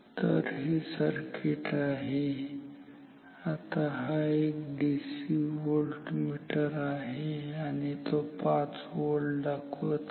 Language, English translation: Marathi, So, this is the circuit, now this is a DC voltmeter and it is showing 5 volt